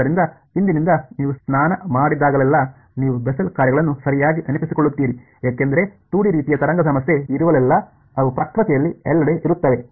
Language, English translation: Kannada, So, from today whenever you have a bath you will remember Bessel functions right, because they are everywhere in nature wherever there is a 2 D kind of a wave problem